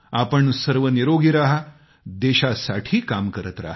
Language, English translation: Marathi, May all of you stay healthy, stay active for the country